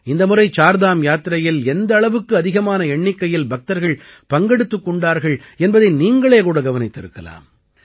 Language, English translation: Tamil, You must have seen that this time a large number of devotees participated in the Chardham Yatra